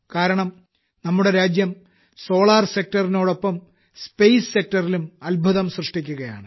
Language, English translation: Malayalam, That is because our country is doing wonders in the solar sector as well as the space sector